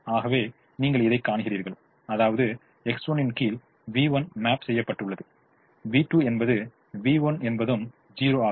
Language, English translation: Tamil, therefore, you see, under x one, v one is mapped, v two is v, one is zero